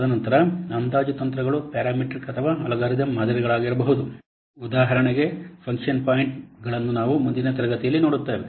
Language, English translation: Kannada, And then the estimation techniques can be parametric or algorithm models for example, function points that will see in the next class